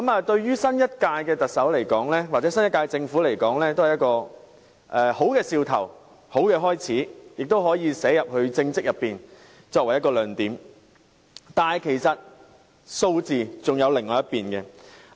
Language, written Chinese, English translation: Cantonese, 對於新任特首或新一屆政府而言，這是好兆頭和好開始，亦可作為其政績的一個亮點，但其實還有另一方面的數據。, This is a good start for the new Chief Executive or the new - term Government as well as a highlight of her political achievements . However there is actually another figure we should also look at